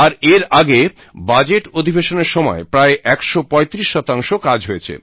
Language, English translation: Bengali, And prior to that in the budget session, it had a productivity of 135%